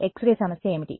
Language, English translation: Telugu, What is the problem with X ray